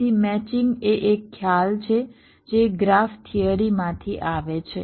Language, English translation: Gujarati, so matching is a concept that comes from graphs theory